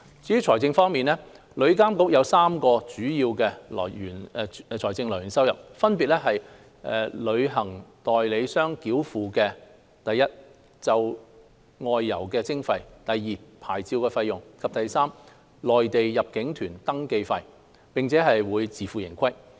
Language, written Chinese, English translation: Cantonese, 至於財政方面，旅監局將有3項主要財政收入來源，分別是由旅行代理商繳付的1就外遊費的徵費 ；2 牌照費用；及3內地入境旅行團登記費，並會自負盈虧。, Regarding financing arrangement TIA will have three major sources of revenue 1 levies on outbound fares; 2 licence fees; and 3 registration fees on inbound tour groups from the Mainland to be paid by travel agents and TIA will run on a self - financing basis